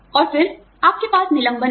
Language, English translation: Hindi, And then, you would have layoffs